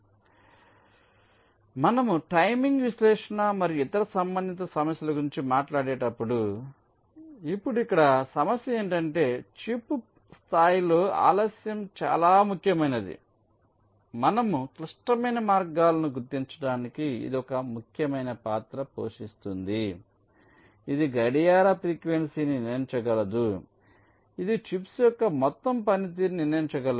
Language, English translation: Telugu, so when we talk about ah, the timing analysis and other related issues, now the issue here is that delay at the chip level is quite important and it plays an important role to identify the critical paths which in turn can determine the clock frequency which in turn can determine the overall performance of the chips